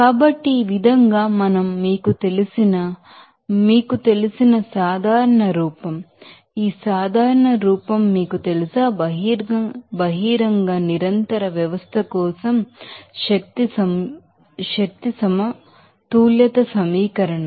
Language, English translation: Telugu, So, this way we can have this you know, general form of you know, this general form of this, you know, energy balance equation for an open continuous system